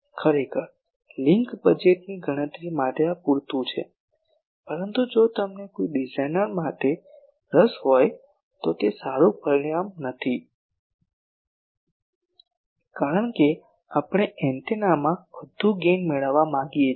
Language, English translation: Gujarati, Actually for link budget calculation this is sufficient, but if you are interested for a designer this is not a good parameter, because we want to have more gain to an antenna